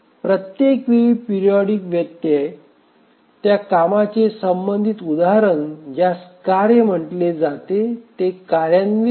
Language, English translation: Marathi, So each time the periodic timer interrupt occurs, the corresponding instance of that task which is called as a job is released or it becomes ready to execute